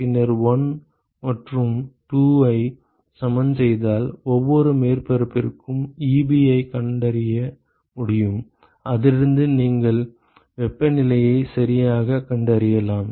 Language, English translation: Tamil, And then equating 1 and 2 you will be able to find the Ebi for every surface and from that you can find out the temperatures ok